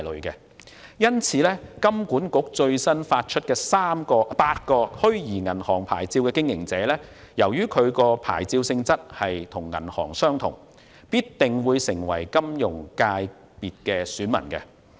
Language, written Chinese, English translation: Cantonese, 因此，香港金融管理局最新發出的8個虛擬銀行牌照的經營者，由於其牌照性質與銀行相同，定會成為金融界別的選民。, 155 . Hence as the nature of the eight virtual banking licences recently issued by the Hong Kong Monetary Authority HKMA is the same as that of banks the relevant licence operators will become electors in the Finance FC